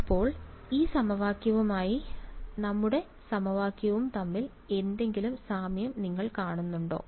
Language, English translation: Malayalam, So, do you see any similarity between this equation and our equation